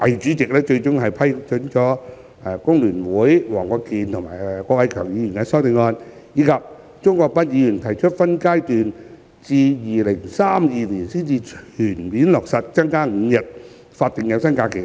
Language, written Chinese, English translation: Cantonese, 主席最終批准了工聯會黃國健議員及郭偉强議員的修正案，以及鍾國斌議員提出分階段至2032年才全面落實增加5日法定有薪假期的修正案。, The President has eventually approved the amendments proposed by Mr WONG Kwok - kin and Mr KWOK Wai - keung of the Hong Kong Federation of Trade Unions and the amendment proposed by Mr CHUNG Kwok - pan on a phased increase of the five days of paid SHs until 2032